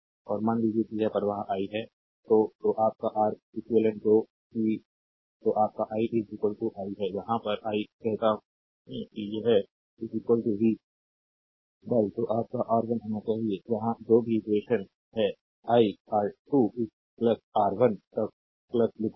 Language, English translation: Hindi, So, your Req that is your i is equal to, right in here say i is equal to it should be v upon your R 1, whatever equation here I will writing R 2, right plus up to RN, right